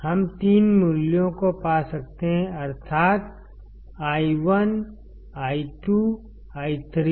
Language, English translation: Hindi, We can find these three values, that is, i1, i2, i3